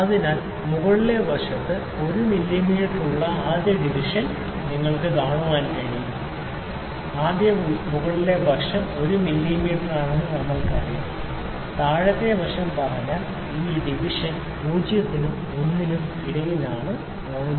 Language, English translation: Malayalam, So, you can see the first division on the upper side that that is 1 mm, first we know the upper side is 1 mm, if we say the lower side this division is between 0 and 1 that is 0